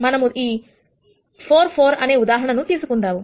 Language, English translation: Telugu, Let us take this 4 4 as an example